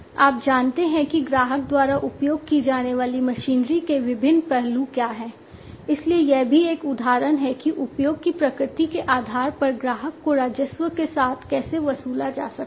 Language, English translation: Hindi, You know what are the different what are the different aspects of the machinery that is used by the customer, so that is also an example of how the customer can be charged with the revenues, based on the nature of the usage